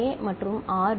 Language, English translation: Tamil, Q is 1 and R is 0